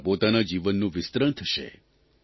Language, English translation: Gujarati, Your life will be enriched